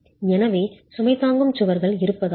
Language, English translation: Tamil, So it's's because of the presence of load bearing walls